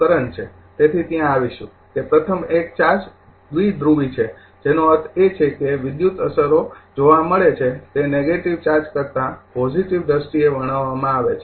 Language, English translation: Gujarati, So, will come to that the first one is the charge is bipolar, meaning that electrical effects are observed in your are describe in terms of positive than negative charges right